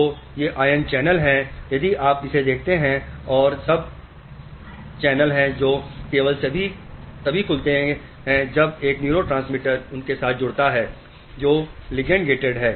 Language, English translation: Hindi, So, these are ion channels, this one if you see this and there are channels which will open up only when a neurotransmitter combines to them which are ligand gated